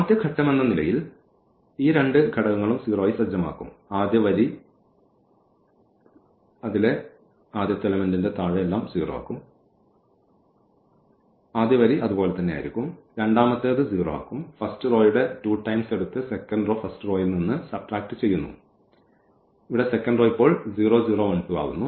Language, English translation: Malayalam, So, the first will first row will be as it is, the second one here will become 0, the two times of that this is also 0, two times this will give 1, here two times will get 2, here now the 3 times of the row 1 we are subtracting here so this will be 0, this will be again 0 and the 3 times this will be 1 and 3 times this will be 2